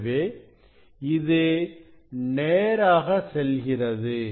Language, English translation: Tamil, It was going directly, so it is the